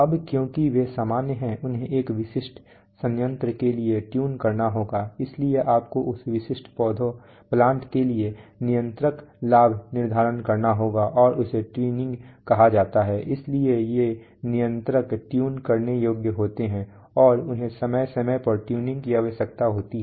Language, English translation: Hindi, Now because they are generic they have to be tuned for a specific plant, so you have to set controller gains for that specific plants and that is called tuning, so these controllers are tunable and they require tuning from time to time